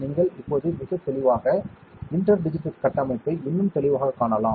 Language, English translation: Tamil, Now, it is in focus you can see the inter digitated structure more clearly now very clearly, correct